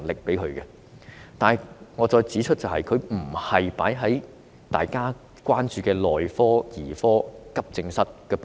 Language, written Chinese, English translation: Cantonese, 然而，我重申，撥款不是投放在大家關注的內科、兒科、急症室等部門。, However I reiterate that funding is not provided to departments such as medicine paediatrics and accident and emergency departments that we are concerned about